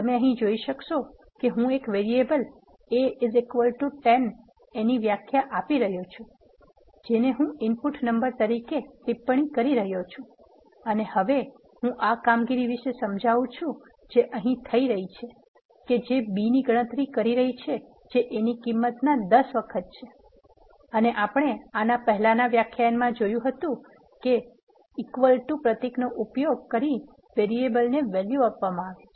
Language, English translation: Gujarati, So, you can see here I am defining a variable a is equal to 10 which I am commenting it out as the input number and now I am explaining this operation which is being happened here which is b is calculated as 10 times a and if you would have remembered in the previous lecture we have used this symbol for assigning a value to a variable you can also use equal to in R studio that is been demonstrated here